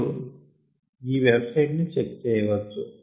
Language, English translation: Telugu, you can go on, check out this website